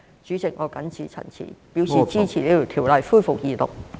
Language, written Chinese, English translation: Cantonese, 主席，我謹此陳辭，支持《條例草案》恢復二讀。, With these remarks President I support the resumption of the Second Reading of the Bill